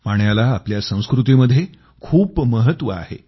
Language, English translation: Marathi, Water is of great importance in our culture